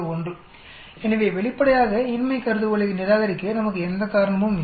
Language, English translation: Tamil, 01 so obviously, there is no reason for us to reject the null hypothesis